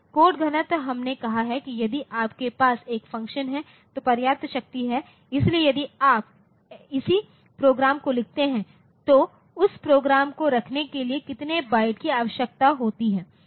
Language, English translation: Hindi, Code density we have said that if you have a computation a function then the enough power, so, if you write down the corresponding program then how many bytes are needed for holding that program